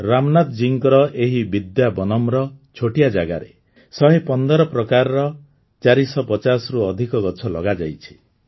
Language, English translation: Odia, In the tiny space in this Vidyavanam of Ramnathji, over 450 trees of 115 varieties were planted